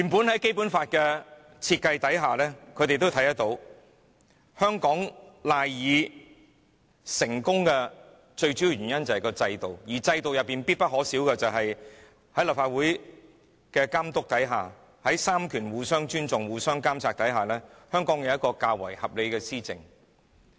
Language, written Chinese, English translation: Cantonese, 在《基本法》下，香港賴以成功的主要原因本來就是我們的制度，而制度必不可少的是接受立法會的監察、三權互相尊重，令香港得以有較為合理的施政。, Under the Basic Law the main cornerstone of Hong Kongs success is our institutions and such institutions must be subject to the monitoring of the Legislative Council . The three powers must respect each other so as to bring forth more reasonable governance in Hong Kong